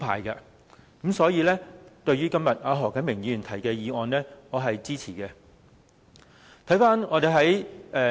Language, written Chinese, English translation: Cantonese, 因此，對於何啟明議員今天提出的議案，我是支持的。, Hence I will support the motion proposed by Mr HO Kai - ming today